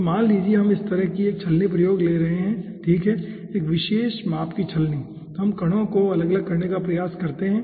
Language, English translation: Hindi, so lets say we are taking a sieve like this, okay, having a particular size of the sieve, and we try to separate out the particle